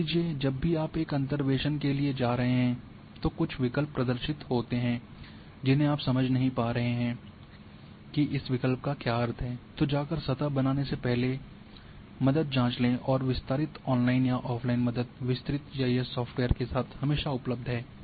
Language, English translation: Hindi, So, whenever you suppose you are going for a interpolations some options are being displayed you do not understand what is the meaning of this option, then before go and create a surface check for the help and very detailed helps with extended GIS software’s are always available, maybe online or offline